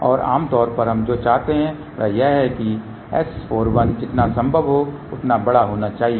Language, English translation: Hindi, And generally what we want is that S 4 1 should be as large as possible